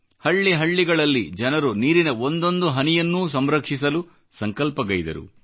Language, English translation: Kannada, People in village after village resolved to accumulate every single drop of rainwater